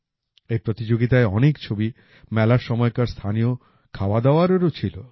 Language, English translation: Bengali, In this competition, there were many pictures of local dishes visible during the fairs